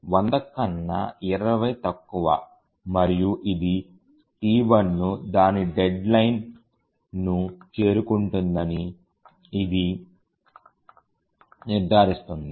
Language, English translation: Telugu, So, 20 is less than 100 and this ensures that T1 would meet its deadline